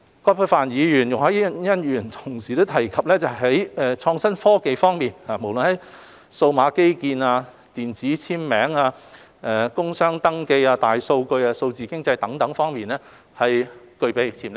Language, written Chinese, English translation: Cantonese, 葛珮帆議員和容海恩議員同時提及於創新科技方面，不論是數碼基建、電子簽名、工商登記、大數據和數字經濟等方面都具備潛力。, Referring to digital infrastructure electronic signature industry and commerce registration big data or digital economy both Dr Elizabeth QUAT and Ms YUNG Hoi - yan have mentioned the potential of the field of innovation and technology